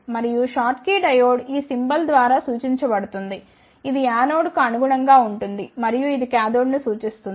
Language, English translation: Telugu, And, the schottky diode is represented by this symbol this corresponds to the anode and this represents the cathode